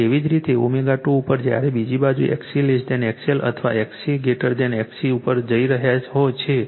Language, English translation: Gujarati, And similarly at omega 2 when is going to the other side XC less than XL or XL greater than XC